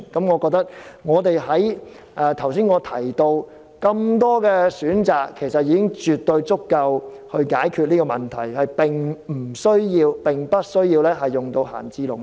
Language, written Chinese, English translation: Cantonese, 我認為，我剛才提出的多個選項已絕對足以解決問題，無需動用閒置農地。, I think that with the options I have just proposed it should be undoubtedly sufficient to solve the problem . There will be no need to use idle agricultural lands